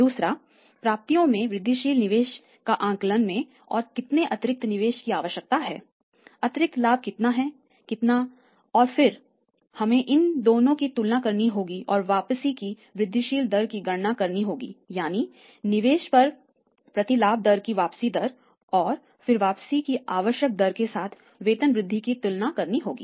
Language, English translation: Hindi, Second thing is estimation of the incremental investment in the receivables how much additional investment is required how much additional profit is there and then we have to compare that these two and calculate the incremental rate of return that is that is IROR increment rate of return on investment and then compare the increment return with the required rate of return right